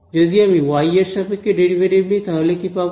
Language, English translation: Bengali, So, let us take the derivative of this with respect to x what will I get